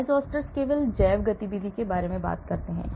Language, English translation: Hindi, Bioisosteres talk only about bio activity